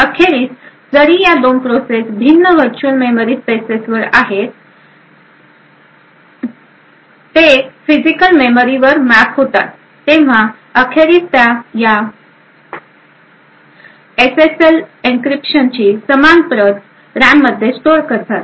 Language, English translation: Marathi, Eventually although these 2 processes are at different virtual memory spaces, eventually when they get mapped to physical memory they would eventually use the same copy of this SSL encryption which is stored in the RAM